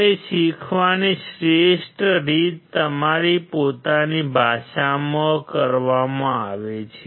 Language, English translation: Gujarati, And the best way of learning is done in your own language